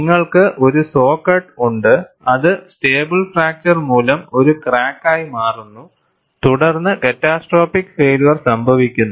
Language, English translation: Malayalam, You have a saw cut that changes into a crack by stable fracture and then catastrophic failure follows